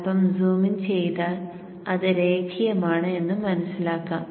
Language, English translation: Malayalam, Zoom in and you will see that it is linear